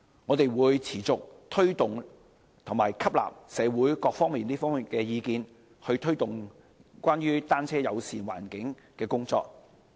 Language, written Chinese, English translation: Cantonese, 我們會持續推動和吸納社會各方面的意見，以推動單車友善環境的工作。, We will keep up with our efforts and gauge the views of people from all walks of life in the community so as to press ahead with promoting a bicycle - friendly environment